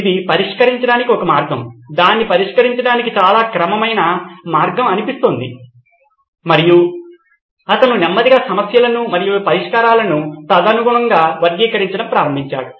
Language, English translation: Telugu, This sounds like a way to solve it, a very systematic way to solve it and he slowly started categorizing the problems and the solutions accordingly